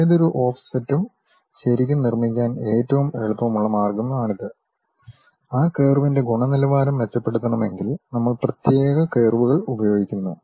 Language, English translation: Malayalam, This is the easiest way one can really construct any offset, if we want to really improve the quality quality of that curve, we use specialized curves